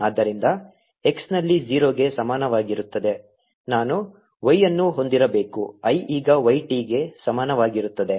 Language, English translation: Kannada, so at x equal to zero, i should have y, i is equal to y, t